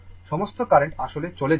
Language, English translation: Bengali, All current actually are leaving